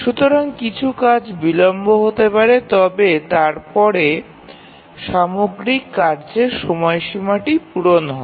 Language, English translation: Bengali, So, some of the tasks may get delayed, but then overall the task deadline will be met